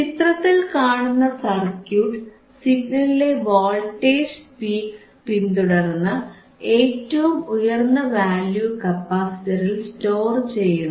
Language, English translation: Malayalam, So, let us see, the circuit shown in figure follows the voltage peaks of a signal and stores the highest value on a capacitor